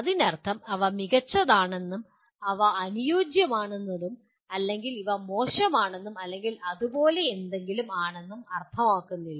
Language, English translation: Malayalam, It does not mean these are the best and these are the ideal or these are bad or anything like that